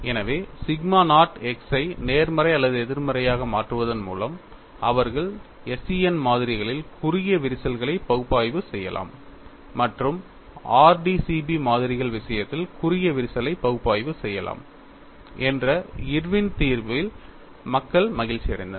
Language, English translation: Tamil, So, people are happy with Irwin solution that by changing the sigma naught x suitably as positive or negative, they could analyze short cracks in SCN specimens and they could analyze short cracks in the case of RDCB specimens